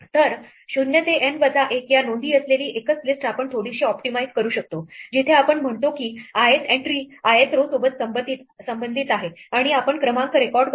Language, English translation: Marathi, So, we can optimize this slightly by just having a single list with the entries 0 to N minus 1 where we say that the ith entry corresponds to the ith row and we record the column number